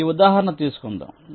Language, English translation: Telugu, lets take a specific example